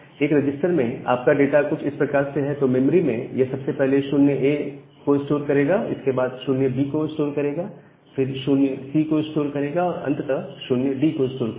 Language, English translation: Hindi, So, in a register if your data is something like this, in the memory it will first store 0A, then it will store 0B, then it will store 0C and finally, it will store 0D